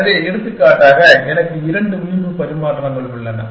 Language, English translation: Tamil, So, for example, I have two edge exchanges